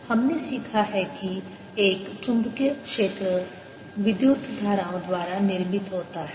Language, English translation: Hindi, we have learnt that one magnetic field is produced by electric currents